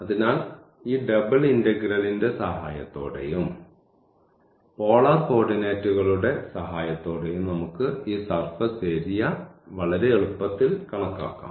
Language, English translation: Malayalam, So, but with the help of this double integral and with the help of the polar coordinates we could very easily compute this surface area